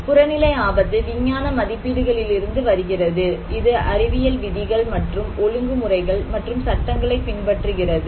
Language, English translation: Tamil, Objective risk that kind of it comes from the scientific estimations, it follows scientific rules and regulations and laws